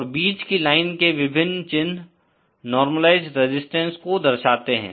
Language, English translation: Hindi, And the Central line has many markings corresponding to the normalised resistances